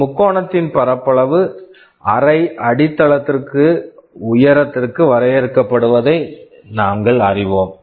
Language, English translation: Tamil, We know that the area of a triangle is defined as half base into height